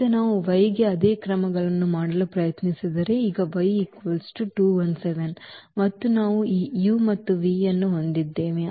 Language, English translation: Kannada, Now, if we try to do for the y again the same steps so now the y is 2 1 7 and we have this u and v